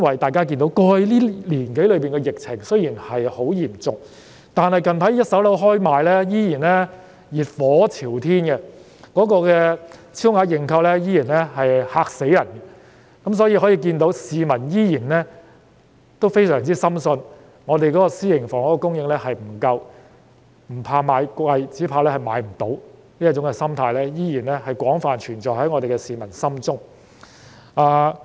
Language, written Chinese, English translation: Cantonese, 大家都看到，雖然過去一年多，疫情很嚴重，但近來開售的一手樓盤，銷情依然熱火朝天，超額認購的情況令人大吃一驚，由此可見，市民依然深信香港的私營房屋供應量不足，那種"不怕買貴，只怕買不到"的心態依然廣泛地存在於市民心中。, As we can see despite the severity of the pandemic in the past year or so there have been exuberant sales of first - hand residential developments recently going on the market and shocking levels of oversubscription . These show that members of the public still firmly believe that there is insufficient supply of private housing in Hong Kong and the mentality of getting less for more is better than getting nothing at all still persists widely among them